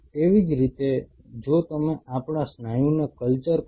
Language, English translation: Gujarati, Similarly if you culture our muscle